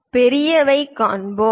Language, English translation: Tamil, Let us look at bigger one 8